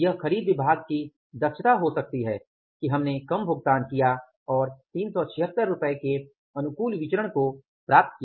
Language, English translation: Hindi, It may be the efficiency of the purchase department, we paid that less price and we ended up with the favorable variance of the 376